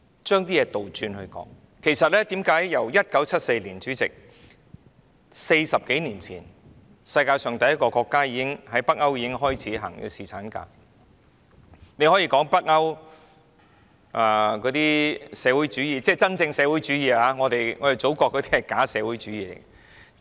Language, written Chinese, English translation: Cantonese, 主席，其實在1974年 ，40 多年前，北歐國家已經率先推行侍產假，大家可以說北歐推行社會主義——是真正的社會主義，我們祖國的是假社會主義。, President actually in 1974 some 40 years ago some Scandinavian countries took the lead in implementing paternity leave . We can say that Scandinavian countries have adopted a practice of socialism . I mean socialism in its true sense